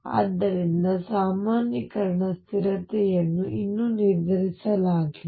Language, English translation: Kannada, So, normalization constant is yet to be determined